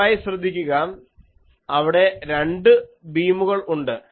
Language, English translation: Malayalam, And please note that there are two beams